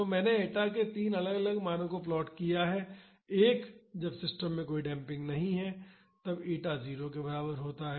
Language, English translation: Hindi, So, I have plotted the values for 3 different values of eta; one is when there is no damping in the system that is eta is equal to 0